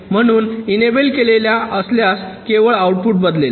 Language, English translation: Marathi, so if enable is activated, only then the outputs will change